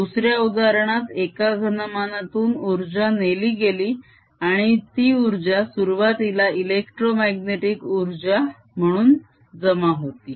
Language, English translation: Marathi, in the other example, the energy was taken away from a volume and that energy initially was stored as electromagnetic energy